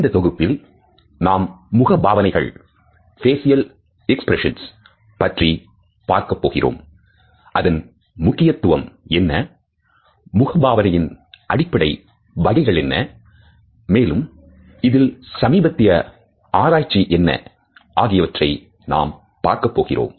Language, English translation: Tamil, In this module, we would look at the facial expressions, what is their importance, what are the basic types of facial expressions, and also, what is the latest research which is going on in this direction